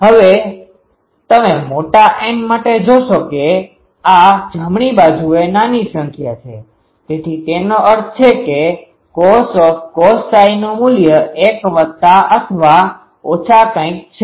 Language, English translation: Gujarati, Now, you see for large N, this right hand side is quietly small number, so that means, cos cos psi that value is 1 plus minus something